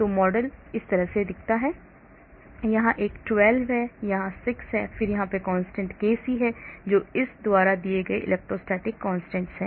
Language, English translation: Hindi, so the model looks like this, there is a 12 here, 6 here, then there is a constant kc, which is the electrostatic constant given by this